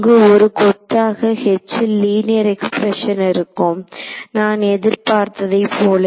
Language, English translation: Tamil, There will be some bunch of some linear expression in H is what I expect ok